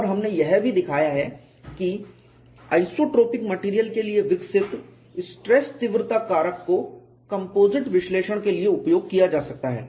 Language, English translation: Hindi, And we have also shown whatever the stress intensity factor developed for isotropic material could be used for composites analysis